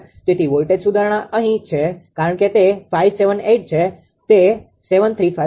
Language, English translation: Gujarati, So, voltage improvement is here because it is 578; it is 735 right